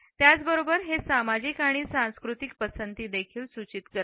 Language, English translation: Marathi, At the same time it also suggests societal and cultural preferences